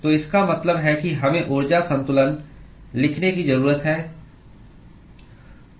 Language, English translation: Hindi, So which means that we need to write a energy balance